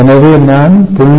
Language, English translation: Tamil, so that is one